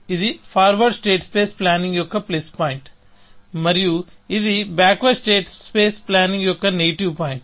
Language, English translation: Telugu, So, this was a plus point of forward state space planning, and this was corresponding negative point of backward state space planning